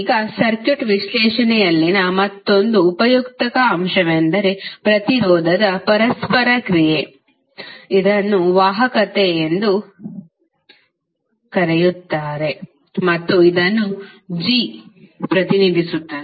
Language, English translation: Kannada, Now, another useful element in the circuit analysis is reciprocal of the resistance which is known as conductance and represented by capital G